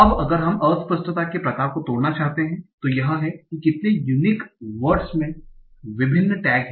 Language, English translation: Hindi, Now if we want to just break down of the ambiguity type that how many unique words have different number of tags